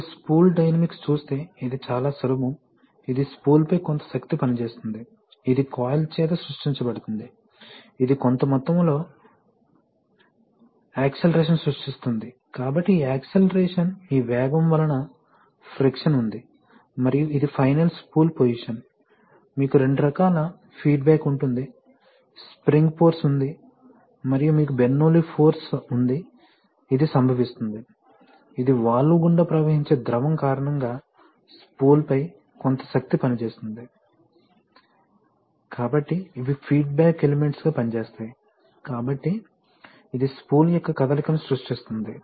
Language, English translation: Telugu, If you see the spool dynamics, it is very simple there is some force acting on the spool, which is created by the coil, this creates a certain amount of acceleration, so this is acceleration, this velocity, so you have friction feedback and then this final is spool position and you have two kinds of feedback wise that you can have a spring, sometimes we have seen that we have centering Springs connected, so you have spring force and you have a Bernoulli force, which is, which is occurring on, which is a force on the spool because of that fluid flowing through the valve, so then some force acting on the spool, so these act as feedback elements, So this creates the motion of the spool